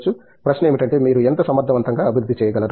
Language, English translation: Telugu, Question is how efficiently will you be able to develop